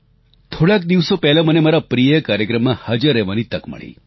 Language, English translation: Gujarati, Recently, I had the opportunity to go to one of my favorite events